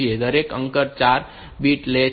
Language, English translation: Gujarati, So, each digit takes 4 bit